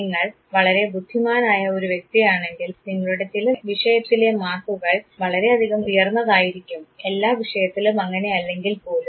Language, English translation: Malayalam, If you are a person who is very intelligent your marks in certain subjects would be very high, if not all subject